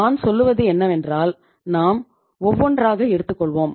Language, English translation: Tamil, First of all I would say, letís take one by one